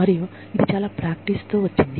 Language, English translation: Telugu, And, it has come with, a lot of runs of practice